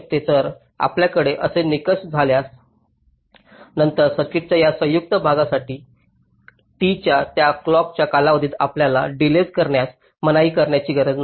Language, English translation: Marathi, so if you have a criteria like this, then for this combinational part of the circuit you need not constrain the delay to be within that clock period of t